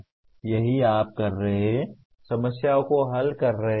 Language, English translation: Hindi, That is what you are doing, solving problems